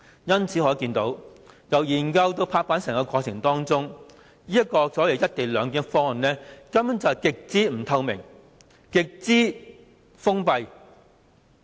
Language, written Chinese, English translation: Cantonese, 由此可見，由研究至拍板的整個過程中，這個所謂"一地兩檢"的方案根本是極不透明、極封閉的。, One may see that the co - location arrangement is extremely opaque and unreceptive from the research stage to the finalizing stage